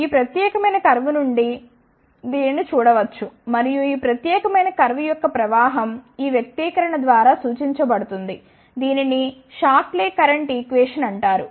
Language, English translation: Telugu, This can be seen from this particular curve and the current of this particular curve is represented by this expression, this is known as Shockley's Shockley's current equation